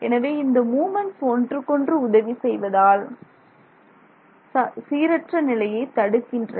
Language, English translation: Tamil, So, the moments are assisting each other and they are preventing random orientation